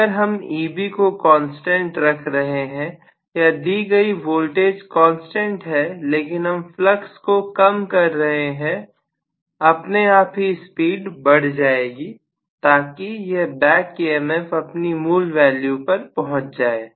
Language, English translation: Hindi, So, if I am keeping E b at a constant or applied voltage as a constant but I am going to reduce the flux, automatically the speed has to increase, so that it gets back to the original value of back emf